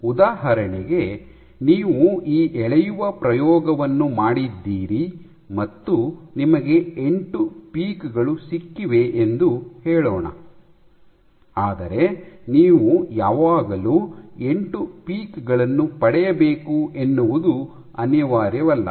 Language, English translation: Kannada, For example, let us say you did this pulling experiment and you got 8 peaks, but it is not necessary that you will always get 8 peaks